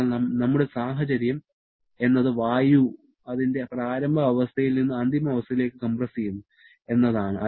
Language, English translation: Malayalam, So, our situation is air is compressed from an initial state to a final state